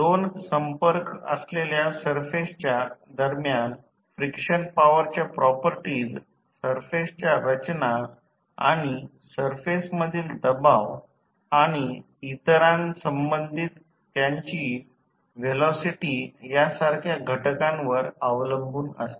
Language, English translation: Marathi, The characteristic of frictional forces between two contacting surfaces depend on the factors such as the composition of the surfaces and the pressure between the surfaces and their their relative velocity among the others